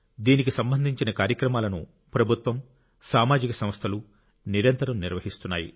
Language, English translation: Telugu, Programmes in that connection are being successively organized by the government and social organisations